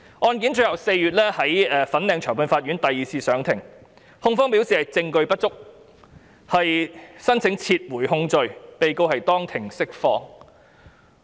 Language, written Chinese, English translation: Cantonese, 案件於4月在粉嶺裁判法院第二次審理，控方表示證據不足，申請撤回控罪，被告當庭釋放。, The case was tried the second time in April at the Fanling Magistrates Courts where the prosecution indicated that application had been made to withdraw the case due to insufficient evidence and the defendant was released in the Court